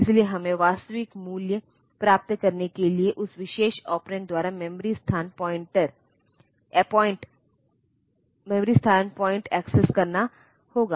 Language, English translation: Hindi, So, we have to access the memory location point to by that particular operand to get the actual value